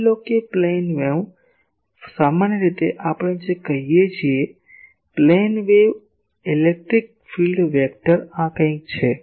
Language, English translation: Gujarati, Suppose a plane wave generally what we say that the plane wave electric field vector is something like this